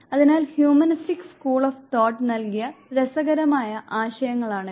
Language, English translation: Malayalam, So, these are interesting concepts given by the humanistic school of thought